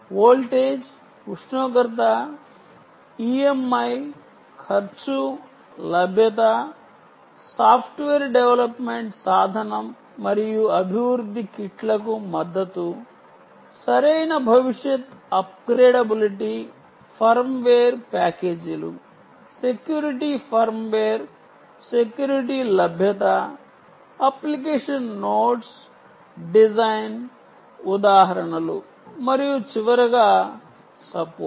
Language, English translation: Telugu, cost and availability, software development, development tool and support for development kits, right future upgradability, upgradability, firmware packages, firmware packages security, firmware security availability, availability of application notes, application notes, design examples, design examples and lastly, of course, support